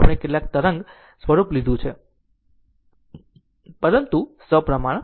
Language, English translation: Gujarati, We have taken some wave form, but symmetrical